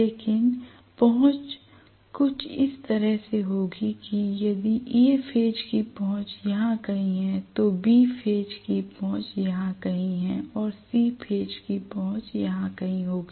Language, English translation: Hindi, But the axis will be in such a way that if A phase axis is somewhere here, B phase axis will be somewhere here and C phase axis will be somewhere here